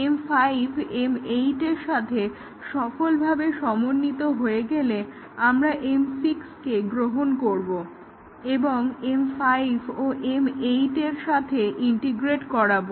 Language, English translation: Bengali, Now we integrate once M 5 is successfully integrated with M 8, we take up M 6 and integrate with M 5 and M 8